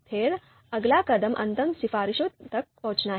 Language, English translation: Hindi, Then the next step is reach a final recommendation